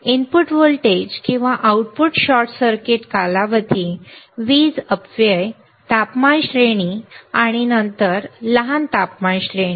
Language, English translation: Marathi, Input voltage or output short circuit duration, power dissipation, temperature range, and then short temperature range